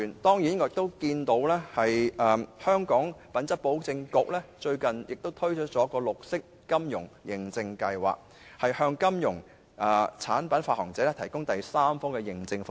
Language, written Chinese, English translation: Cantonese, 我留意到香港品質保證局最近推出了綠色金融認證計劃，向金融產品發行者提供第三方認證服務。, It has come to my attention that the Hong Kong Quality Assurance Agency has recently launched the Green Finance Certification Scheme to provide third - party certification services for financial product issuers